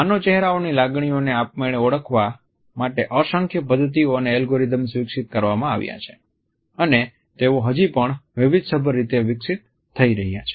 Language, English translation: Gujarati, Numerous methods and algorithms for automatically recognizing emotions from human faces have been developed and they are still being developed in diversified ways